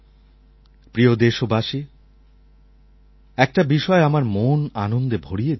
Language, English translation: Bengali, Dear countrymen, my heart is filled with joy because of this one thing